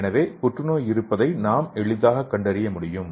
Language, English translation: Tamil, So we can easily diagnose the cancer cell